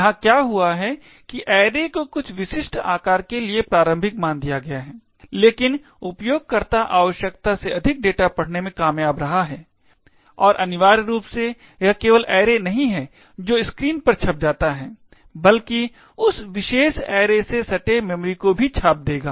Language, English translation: Hindi, What has happened here is that the array has been initialised to some specific size but the user has managed to read more data than is required and essentially it is not just the array that gets printed on the screen but memory adjacent to that particular array would also get printed